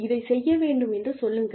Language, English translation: Tamil, Just say, that this needs to be done